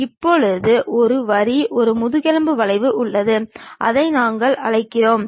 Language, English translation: Tamil, Now, there is a line a spine curve which we call that is this one